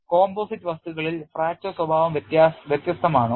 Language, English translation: Malayalam, Is fracture behavior different in composite materials